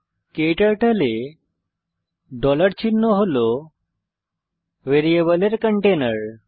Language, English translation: Bengali, In KTurtle, $ sign is a container of variables